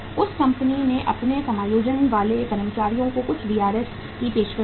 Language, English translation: Hindi, That company offered some VRS to the its adjusting employees